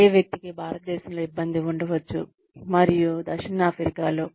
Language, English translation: Telugu, The same person may have trouble in India, and say in South Africa